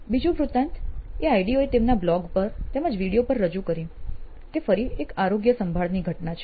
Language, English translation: Gujarati, The second story that Ideo shared also on either their blog or their video is a case of again a health care case